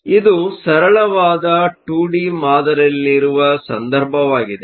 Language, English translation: Kannada, So, this is in the case of a simple 2 D model